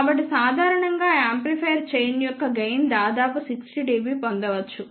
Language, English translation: Telugu, So, typically that amplifier chain may have gain of the order of 60 dB